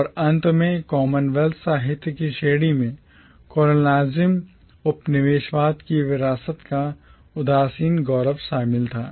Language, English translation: Hindi, And finally the category of commonwealth literature involved a nostalgic glorification of the legacies of colonialism